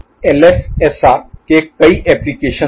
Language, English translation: Hindi, There are many applications of LFSR